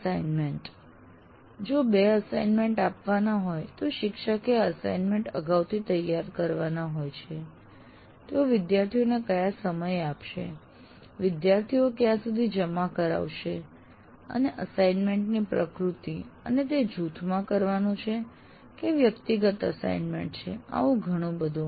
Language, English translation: Gujarati, Let's say you are planning to give two assignments and the teacher is expected to prepare these assignments in advance and at what time they would be made available to the students and by what time the students need to submit and the nature of assignments whether it is group or individual assignments and so on